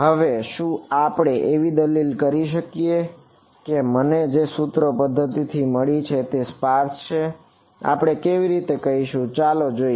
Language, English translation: Gujarati, Now, can we argue that the system of equations I get is sparse, let us look at the how should we do this